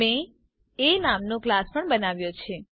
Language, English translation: Gujarati, I also have a created a class named A